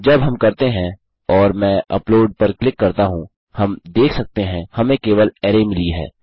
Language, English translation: Hindi, When we do and I click on upload, we can see we just get Array